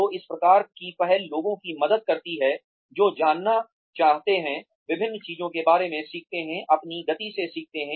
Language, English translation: Hindi, So, these kinds of initiatives, help people, who want to know, learn about different things, learn at their own pace